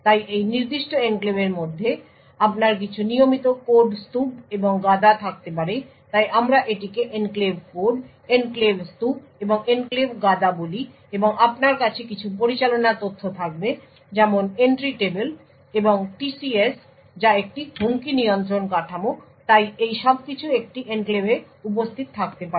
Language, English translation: Bengali, So within this particular enclave you could have some regular code stack and heap so we call this as the enclave code, enclave stack and the enclave heap and you would have some management data such as the entry table and TCS which is a Threat Control Structure so all of this can be present in an enclave